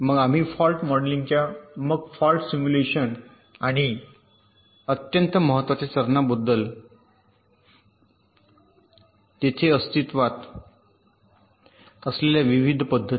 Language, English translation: Marathi, then we talked about the very important steps of fault modeling, then fault simulation and the different methods which exist there in